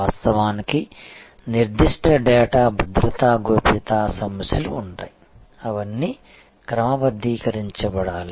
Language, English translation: Telugu, Of course, there will be certain data security privacy issues all those will have to be sorted